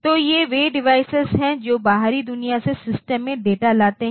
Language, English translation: Hindi, So, these are the devices that bring data into the system from the outside world